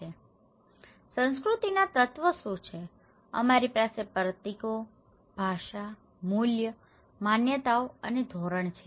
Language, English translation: Gujarati, So, what are elements of culture; we have symbols, language, values, beliefs and norms